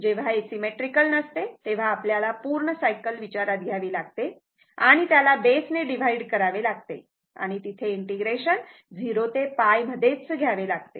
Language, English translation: Marathi, When it is not symmetrical, you have to consider the complete cycle total base divided by whatever integration will be there 0 to pi